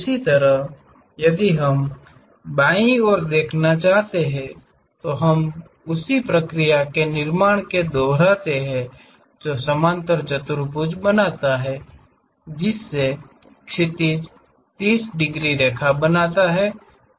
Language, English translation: Hindi, Similarly, if we want left side view we repeat the same process construct that parallelogram, making horizon 30 degrees line